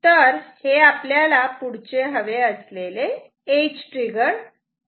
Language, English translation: Marathi, So, this is next thing what we want